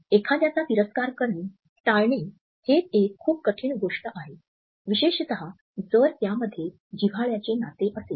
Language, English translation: Marathi, Hate towards someone is something that is very hard to overcome, especially if it is between an intimate relationship